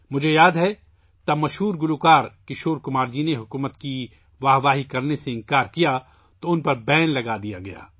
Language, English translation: Urdu, I remember when famous singer Kishore Kumar refused to applaud the government, he was banned